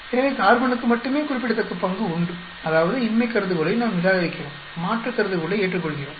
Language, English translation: Tamil, So, only carbon has a significant role; that means, we reject the null hypothesis and we accept the alternate hypothesis